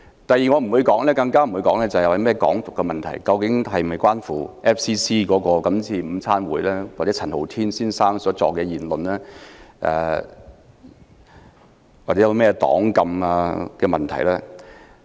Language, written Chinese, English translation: Cantonese, 第二，我亦不會討論"港獨"，究竟事件是否與 FCC 的午餐會或陳浩天先生所作的言論有關，以及黨禁等問題。, Second I will not discuss issues such as Hong Kong independence whether the incident was related to FCCs club lunch or Mr Andy CHANs talk and the ban on the political party